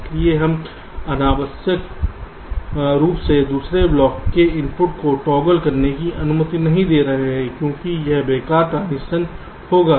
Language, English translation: Hindi, so we are not unnecessarily allowing the input of the other block to toggle, because this will be use useless transition